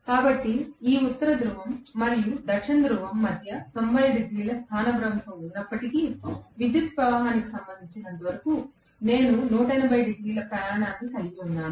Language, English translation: Telugu, So, between this North Pole and South Pole although it is 90 degree displacement, I am actually having 180 degree traversal as far as the electrical current is concerned